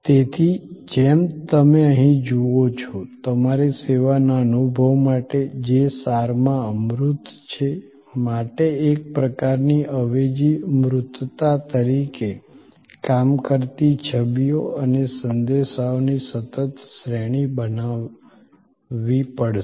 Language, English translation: Gujarati, So, as you see here, you have to create a consistent series of images and messages that act as a sort of substitute tangibility, for the service experience, which in an essence is intangible